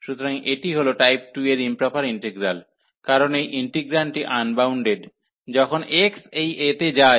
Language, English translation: Bengali, So, this is the improper integral of type 2, because this integrand is unbounded, when x goes to this a